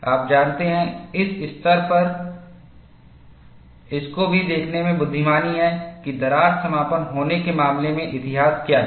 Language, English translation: Hindi, You know, at this stage, it is also wise to look at, what was the history, in the case of crack closure